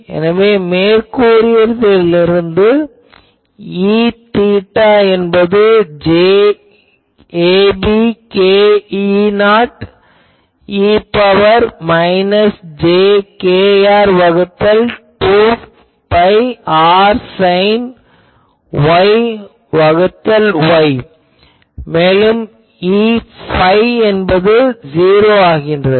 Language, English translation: Tamil, So, you can see that E theta is j ab k E not E to the power minus jkr by 2 pi r sin Y by Y and E phi will become 0